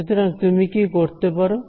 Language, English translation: Bengali, So, what could you do